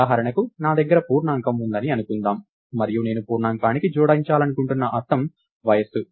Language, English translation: Telugu, For example, lets say I have an integer and the meaning that I want to attach to the integer is age